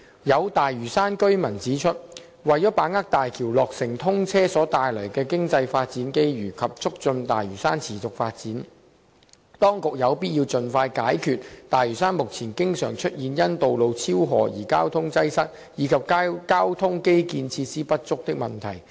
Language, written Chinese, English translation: Cantonese, 有大嶼山居民指出，為把握大橋落成通車所帶來的經濟發展機遇及促進大嶼山持續發展，當局有必要盡快解決大嶼山目前經常出現因道路超荷而交通擠塞，以及交通基建設施不足的問題。, Some residents on Lantau Island have pointed out that in order to capitalize on the development opportunities brought about by the commissioning of the Bridge and facilitate the continuous development of Lantau Island it is imperative that the authorities expeditiously resolve the existing problems of frequent traffic congestion on Lantau Island arising from overloading of roads and insufficient transport infrastructure facilities